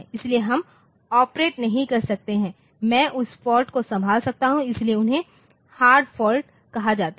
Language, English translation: Hindi, So, so we can we cannot operate I can handle that fault so, they are called hard faults